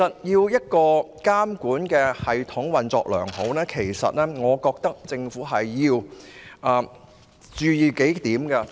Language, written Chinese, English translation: Cantonese, 一個監管系統要運作良好，政府要注意數點。, To ensure the sound operation of a regulatory system the Government needs to pay attention to several issues